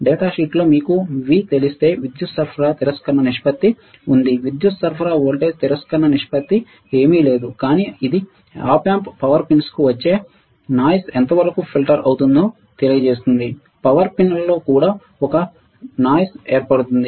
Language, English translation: Telugu, If you know V in the datasheet there was a power supply rejection ratio the power supply voltage rejection ratio is nothing, but it will tell how about how well the Op amp filters out the noise coming to the power pins right, there is a noise generated in the power pins also